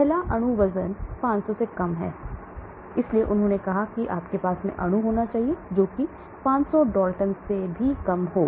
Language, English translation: Hindi, The first one is molecular weight less than 500, so they said you should have molecules, which are reasonably small less than 500